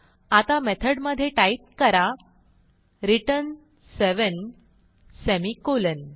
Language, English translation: Marathi, Now inside the method type return seven, semicolon